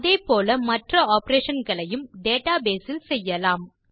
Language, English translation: Tamil, In a similar manner, we can perform other operations in the database too